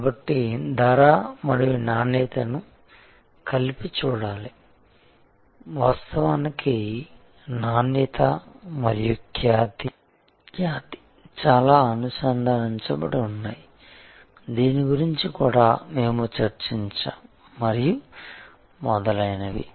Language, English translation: Telugu, So, price and quality should be seen together, in fact, quality and reputation are quite connected this also we had discussed and so on